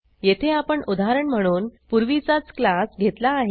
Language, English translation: Marathi, Here I have taken the same class as before as an example